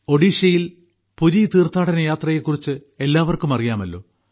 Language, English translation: Malayalam, All of us are familiar with the Puri yatra in Odisha